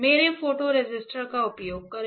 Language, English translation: Hindi, By using my photo resistor